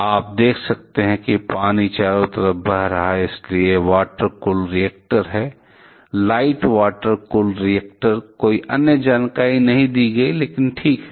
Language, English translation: Hindi, You can see water is flowing around, so it is a water cool reactor; light water cool reactor, no other information is given, but ok